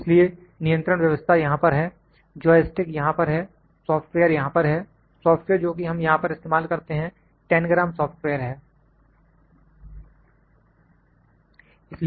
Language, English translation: Hindi, So, control system is here, joystick is here, software is here, software that we use here is Tangram software, ok